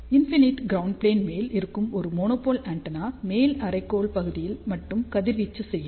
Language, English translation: Tamil, However, a monopole antenna on infinite ground plate will radiate only in the upper hemisphere